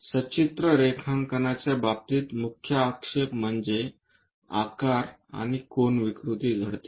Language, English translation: Marathi, In the case of pictorial drawing, the main objection is shape and angle distortion happens